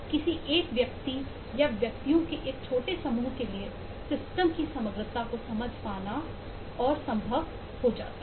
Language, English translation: Hindi, it is impossible for any single individual, or even for a small group of individuals, to comprehend, understand the system in totality